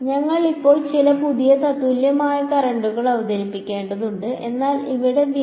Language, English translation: Malayalam, We have to now introduce some now new equivalent currents right, but the price here